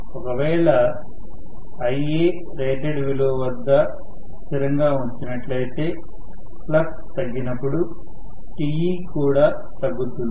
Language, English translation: Telugu, So, I can say even if Ia is kept at rated value, because flux decreases I am going to have reduction in Te